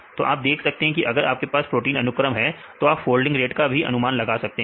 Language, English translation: Hindi, So, you can see whether a if you have a protein sequence, can you predict this is the folding rate then you can predict